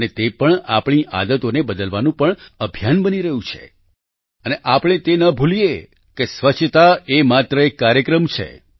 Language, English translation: Gujarati, And this is also becoming a campaign to change our habits too and we must not forget that this cleanliness is a programme